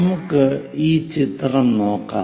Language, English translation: Malayalam, Let us look at this picture